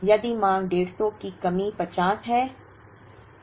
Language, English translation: Hindi, If the demand is 150 shortage is 50